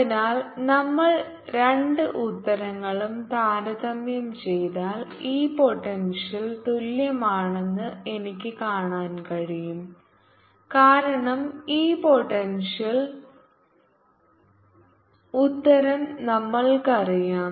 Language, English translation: Malayalam, so if we compare ah, d, ah, the two answer, so i can see this potential is equal to, because we know the answer for this potential